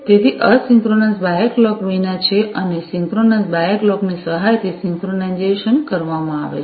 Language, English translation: Gujarati, So, asynchronous is without external clock and synchronous is with the help of the synchronization is done, with the help of the external clock